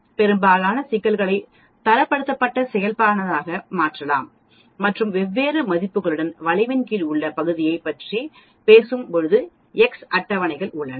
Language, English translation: Tamil, We can convert most of the problems into Standardized Normal Distribution and there are tables which talk about area under the curve for different values of x actually